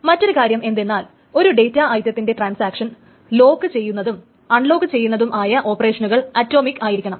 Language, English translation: Malayalam, One very important thing is that the operation of locking data item by a transaction as well as the operation of unlocking the data item by a transaction, these two operations must themselves be atomic